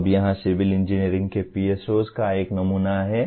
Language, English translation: Hindi, Now here is a sample of PSOs of civil engineering